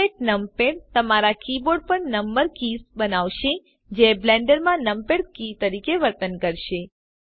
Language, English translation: Gujarati, Emulate numpad will make the number keys on your keyboard behave like the numpad keys in Blender